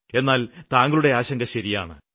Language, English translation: Malayalam, But the concern you have expressed is genuine